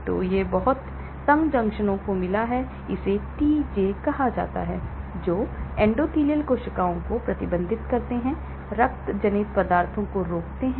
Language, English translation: Hindi, So, it has got a lot of tight junctions, they are called TJ between the endothelial cells serve to restrict, blood borne substances